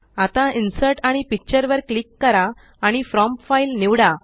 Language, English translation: Marathi, Now, lets click on Insert and Picture and select From File